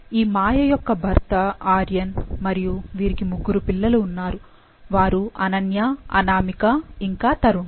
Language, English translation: Telugu, So, this Maya’s husband Aryan and she has three children that is Ananya, Anamika and Tarun